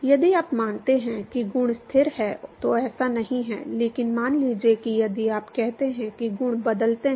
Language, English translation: Hindi, If you assume that the properties are constant it doesn’t, but supposing if you say that the properties change